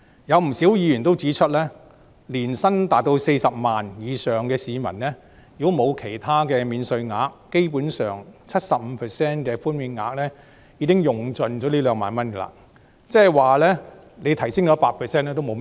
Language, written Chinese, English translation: Cantonese, 有不少議員也指出，對於年薪達40萬元以上的市民而言，如果沒有其他免稅額，基本上 ，75% 的寬免額已可以用盡這2萬元，即是說，即使提升至 100% 寬免額也沒有甚麼意義。, A number of Members have also pointed out that basically for taxpayers who are earning 400,000 per annum the 75 % in tax reduction will enable them to save the maximum 20,000 in tax if they are not entitled to other tax allowance